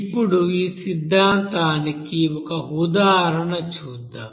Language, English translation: Telugu, Now let us do an example for this theory